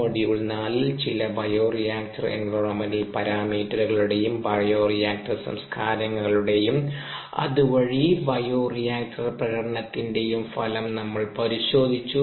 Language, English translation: Malayalam, in module four we looked at the effect of certain bioreactor environment parameters, ah on ah, the bioreactor cultures, and there by bioreactor performance